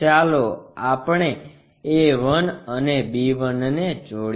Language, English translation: Gujarati, Let us join a 1 and b 1